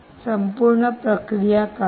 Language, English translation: Marathi, what is the whole process